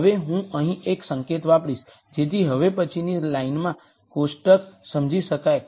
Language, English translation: Gujarati, Now, I am going to use one notation here so, that we can understand the table in the next line